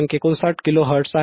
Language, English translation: Marathi, 59 Kilo Hertz